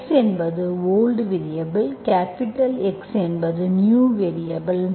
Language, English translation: Tamil, x is the old variable, capital X is the new variable